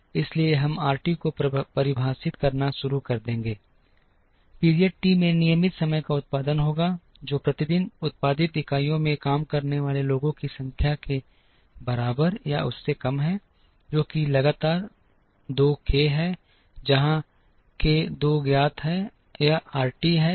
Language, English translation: Hindi, So, we will start defining RT is the regular time production in period t, is less than or equal to the number of people working into units produced per day, into another constant which is some k 2, where k 2 is known it is RT days